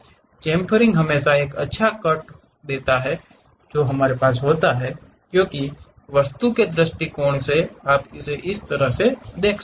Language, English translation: Hindi, Chamfering always be a nice cut we will be having, because of architectural point of view you might be going to have that kind of thing